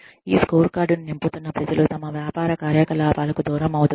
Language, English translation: Telugu, The people, who are filling up this scorecard, are being distracted from their business activities